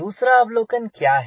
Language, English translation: Hindi, what is the another observation